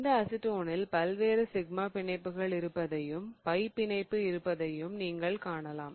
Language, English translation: Tamil, So, acetone here is, uh, you can see that there are various sigma bonds and there is also a pi bond